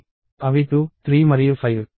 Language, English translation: Telugu, They are 2, 3 and 5